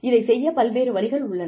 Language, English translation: Tamil, And, there are various ways, of doing it